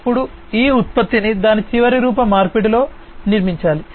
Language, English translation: Telugu, Then this product has to be built in its final form conversion